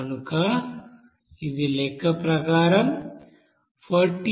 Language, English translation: Telugu, So it will be coming as here 45